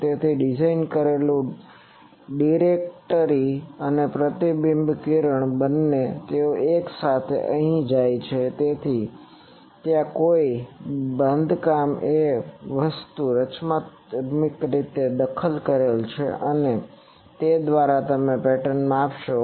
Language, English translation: Gujarati, So, designed that both the directory and the reflected ray they go here simultaneously; so there is a construction a thing constructive interference and by that you measure the pattern